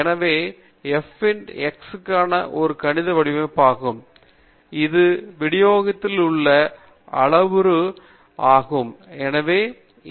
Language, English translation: Tamil, So this is a mathematical form for f of x and the parameters in this distribution are mu and sigma